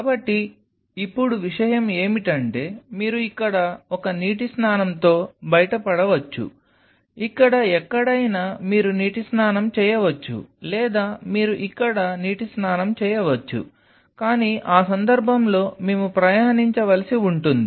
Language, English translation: Telugu, So, now, the thing is that either you can get away with one water bath out here, somewhere out here you can place a water bath or you can have a have a water bath here, but in that case, we will have to travel back and forth like this